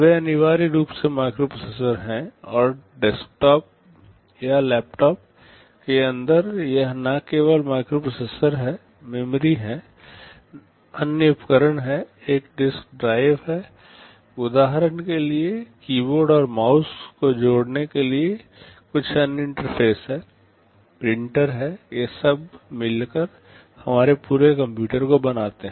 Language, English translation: Hindi, They are essentially microprocessors and inside a desktop or a laptop it is not only the microprocessors, there are memories, there are other devices, there is a disk drive there are some other interfaces to connect keyboard and mouse for example, printers that makes our entire computer